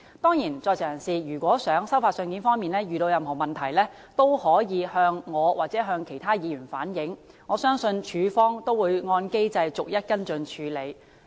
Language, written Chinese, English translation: Cantonese, 當然，如果在囚人士在收發信件方面遇到任何問題，可以向我或其他議員反映，我相信署方會按機制逐一跟進處理。, Of course if inmates have any difficulties in receiving or sending letters they can reflect the situation to me or to other Members . I believe CSD will follow up and handle each case according to the established mechanism